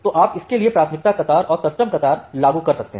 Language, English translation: Hindi, So, you can apply a priority queue for this, and the custom queue for this